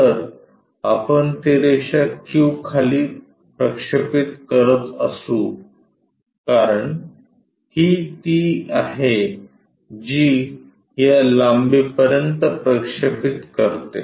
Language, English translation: Marathi, So, if we are projecting that line q all the way down, because this is the one which makes a projection of this length up to this